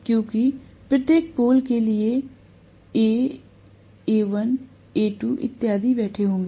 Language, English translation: Hindi, Because for each of the pole there will be one A sitting, A, A, A1, A2 and so on